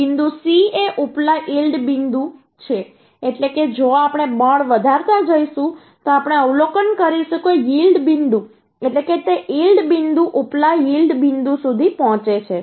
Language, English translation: Gujarati, upper yield point means if we go on increasing the force then we will observe that yield point means it reaches yield point, upper yield point